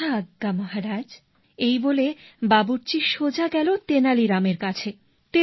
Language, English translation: Bengali, " "As you order Maharaja," saying this the cook went straight to Tenali Rama